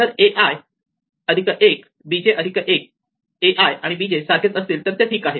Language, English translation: Marathi, So, if a i and b j work then its fine